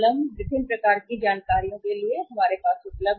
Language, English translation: Hindi, These are the 3 different types of information is available to us